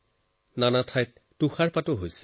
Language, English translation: Assamese, Many areas are experiencing snowfall